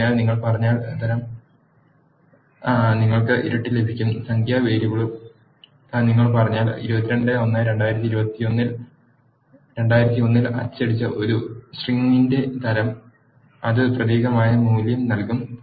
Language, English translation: Malayalam, So, if you say, type of, you will get double which is numerical variable and if you say, type of a string, that is printed 22 1 2001, it will give value as character